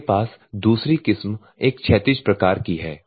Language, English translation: Hindi, The other version is you will have a horizontal type